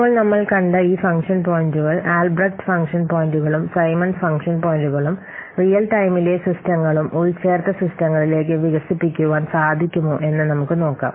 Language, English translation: Malayalam, Now let's see about the whether these function points so far we have seen the Albreast function points and the Simmons function points can they be extended to real time systems and embedded systems